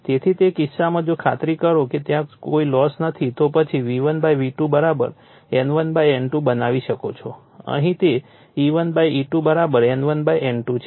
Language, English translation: Gujarati, So, in that case if we assume that there is no loss then we can make V1 / V1 / V2 = your N1 / N2 here it is E1 / E2 = N1 / N2 right